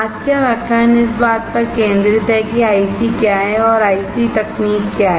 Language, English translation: Hindi, The today's lecture is focused on what are ICs and what are IC technologies